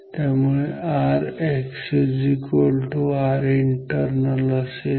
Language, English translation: Marathi, So, this becomes 2 times R internal